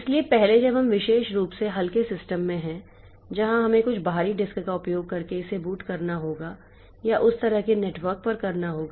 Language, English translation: Hindi, So, previously when you have got in particularly the lightweight systems where we have to boot it using some external disk or say over a network like that